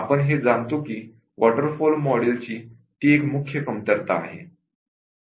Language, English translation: Marathi, We know that that is a major set coming of the waterfall model